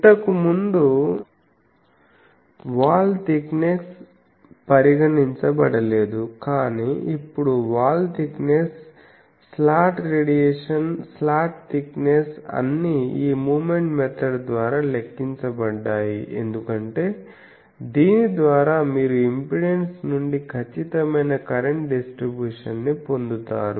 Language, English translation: Telugu, Previously wall thickness was not considered, but now wall thickness was accounted for slot radiation, slot thickness all those are now accounted for by this moment method thing because, by this you get accurate current distribution and from thus impedance